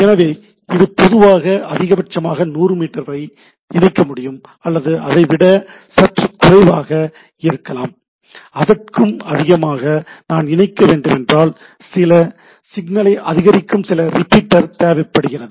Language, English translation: Tamil, So, if it is typically can connect 100 meters things at a that maximum things it maybe little less than that and if I have to go more than that, I require a some repeater or which amplifies the signal right